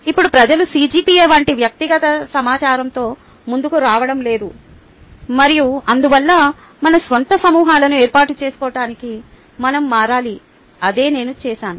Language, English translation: Telugu, now people are not so forthcoming with a personal information such as cgpa and therefore we need to change to form our own groups